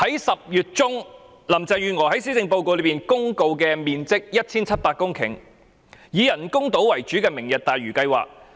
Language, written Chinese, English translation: Cantonese, 10月中，林鄭月娥在施政報告公告面積 1,700 公頃、以人工島為主題的"明日大嶼"計劃。, In mid - October Carrie LAM announced in the Policy Address the Lantau Tomorrow project covering an area of 1 700 hectares and featuring artificial islands